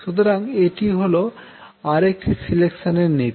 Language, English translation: Bengali, So, this is another selection rule